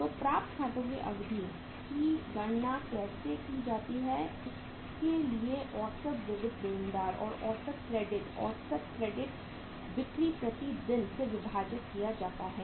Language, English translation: Hindi, So duration of the accounts receivables can be calculated how that is average sundry debtors average sundry debtors divided by average sundry debtors divided by average credit average credit sales per day